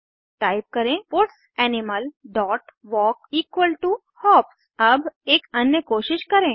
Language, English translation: Hindi, Type puts animal dot walk equal to hops Now let give it another try